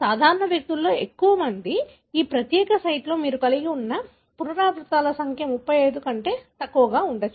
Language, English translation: Telugu, Majority of the normal individuals, the number of repeats that you have in this particular site could be less than 35